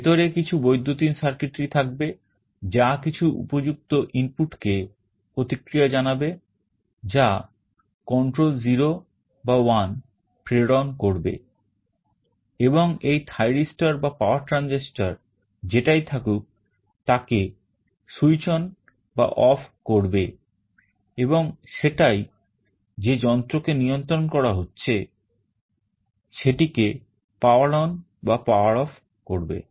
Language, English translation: Bengali, Inside there will be some electronic circuitry, which will be responding to some appropriate input that will be sending a control 0 or 1, and this thyristor or power transistor whatever is there will be switched on or off, and that will be turning the power on or off to the device that is being controlled